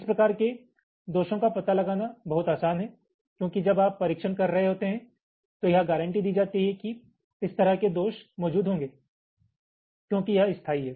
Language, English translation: Hindi, these kind of faults are much easier to detect because when you are carrying out the testing, it is guaranteed that this kind of faults will be present because it is permanent